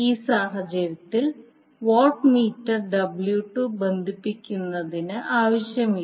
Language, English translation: Malayalam, That means that in this case, the watt meter W 2 is not necessary to be connected